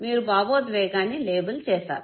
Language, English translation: Telugu, So you have labeled the emotion